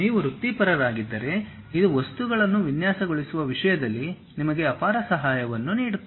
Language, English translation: Kannada, If you are a professional this gives you enormous help in terms of designing the objects